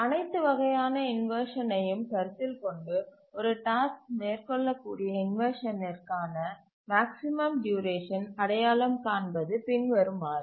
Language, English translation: Tamil, Now let's identify what is the maximum duration for inversion that a task may undergo, considering all types of inversion